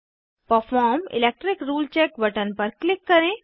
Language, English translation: Hindi, Click on Perform Electric Rule Check button